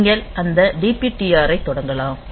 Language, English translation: Tamil, So, you can also initialize that DPTR